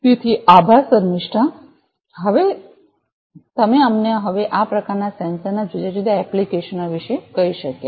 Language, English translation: Gujarati, So, thank you Shamistha, so Shamistha could you tell us now about the different applications of these kind of sensors